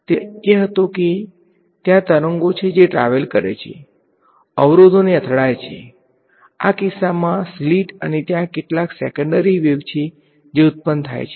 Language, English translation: Gujarati, So, the idea was that there is wave that travels hits some obstacle in this case the slit and there are secondary waves that are generated right